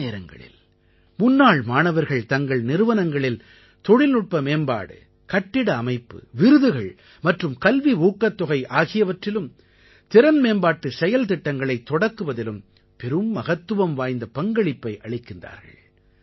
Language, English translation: Tamil, Often, alumni play a very important role in technology upgradation of their institutions, in construction of buildings, in initiating awards and scholarships and in starting programs for skill development